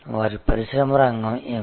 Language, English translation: Telugu, What will be their industry sector